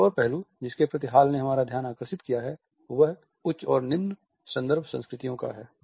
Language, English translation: Hindi, Another aspect towards which Hall has drawn our attention is of high and low context cultures